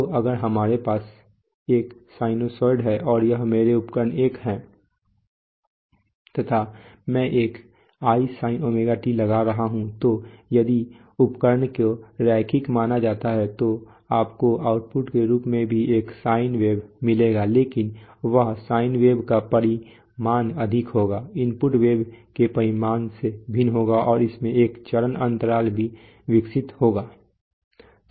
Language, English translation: Hindi, So if we have a sinusoid, so we this is, this is, this is my instrument I am applying an isin ωt typically what will happen is that, if the instrument is supposed to be linear then you will get as output also you will get a sine wave but that sine wave magnitude will be higher, will be different from the magnitude of the input wave and it will also have develop a phase lag